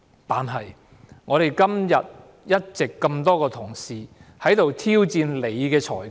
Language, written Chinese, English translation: Cantonese, 但是，我們今天一直這麼多位同事在此挑戰你的裁決......, However today many of us challenged your ruling You do not need to tell me that your ruling is incontestable